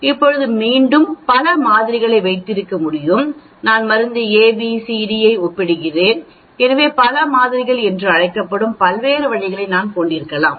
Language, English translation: Tamil, Now again you can have Multiple samples, I may be comparing drug A, B, C, D so, I could be having lots of different means that is called a Multiple samples actually